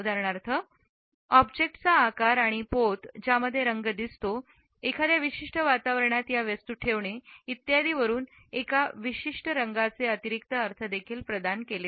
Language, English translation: Marathi, For example, the shape and the texture of the object on which the color is seen, the placing of this object in a particular environment etcetera also provide additional interpretations of a particular color